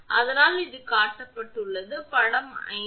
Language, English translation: Tamil, So, that is why it shown is figure 5